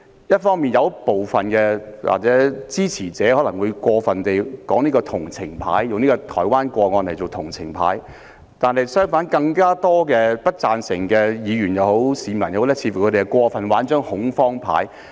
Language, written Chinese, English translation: Cantonese, 一方面，部分支持者可能過分地用台灣的個案打同情牌；另一方面，更多不贊成修例的議員或市民似乎過分地打恐慌牌。, On the one hand some supporters might have gone too far in playing the sympathy card with the Taiwan case; on the other hand even more Members or members of the public who disapproved of the legislative amendments seemed to have overplayed the scaremongering card